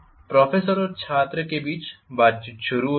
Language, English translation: Hindi, Conversation between professor and student starts